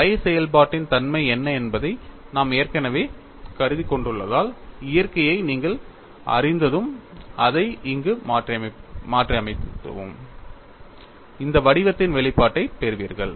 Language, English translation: Tamil, Because, we have already assumed what is the nature of the function phi; once you know that nature and substitute it here, you get an expression of this form